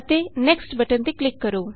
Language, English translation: Punjabi, Click on Next